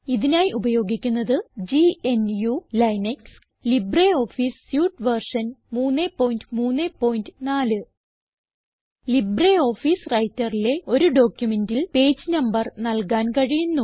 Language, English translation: Malayalam, Here we are using GNU/Linux as our operating system and LibreOffice Suite version 3.3.4 LibreOffice Writer allows you to add page numbers to a document